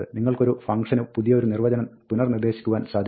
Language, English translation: Malayalam, You can reassign a new definition to a function